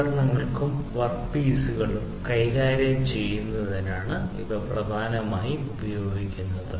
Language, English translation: Malayalam, And these are primarily used for manipulating tools and work pieces